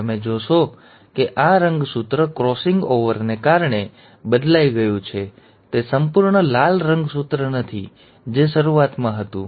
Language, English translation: Gujarati, Now you will notice that this chromosome, thanks to the crossing over has changed, it is not the complete red chromosome, what it was in the beginning